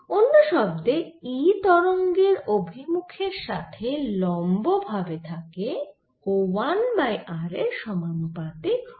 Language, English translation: Bengali, in another words, it is perpendicular to the direction of propagation and e will be proportional to one over r